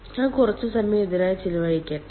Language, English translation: Malayalam, let me spend some time on this